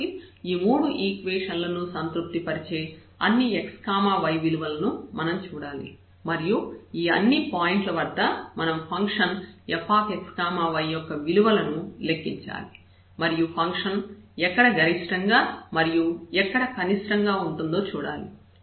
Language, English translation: Telugu, So, all possible values of x y lambda we have to see which satisfy all these 3 equations and then at all those points we have to compute the function value f x y and see where the function is attaining its maximum and its minimum